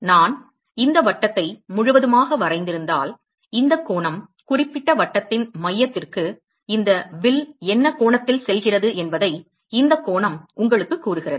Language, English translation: Tamil, If I draw circle if I had complete this circle this angle tells you what is the angle that that this arc subtends to the center of that particular circle